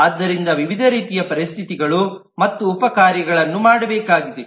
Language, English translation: Kannada, So there are different kinds of conditions and sub tasks that will need to be done